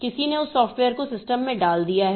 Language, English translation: Hindi, Somebody has put that software into the system